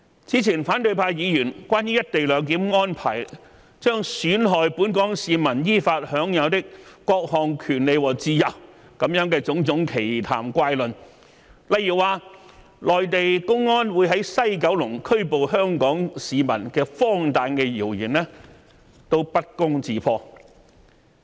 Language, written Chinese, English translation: Cantonese, 此前反對派議員關於"一地兩檢"安排將"損害本港市民依法享有的各項權利和自由"的種種奇談怪論，例如說內地公安將會在西九龍拘捕香港市民的荒誕的謠言，不攻自破。, Previously Members of the opposition camp made all sorts of absurd comments and ridiculous remarks about the co - location arrangement claiming that the arrangement would undermine the lawfully guaranteed rights and freedoms of Hong Kong people . For example their rumours that Mainland public security personnel would apprehend Hong Kong residents in the West Kowloon Terminus had been quashed